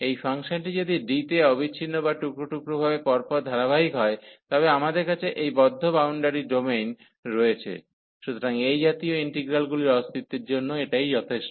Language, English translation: Bengali, If this function is continuous or piecewise continuous in D, so we have this closed boundary domain and if the function is piecewise continuous or continuous, so this is sufficient for the existence of such integrals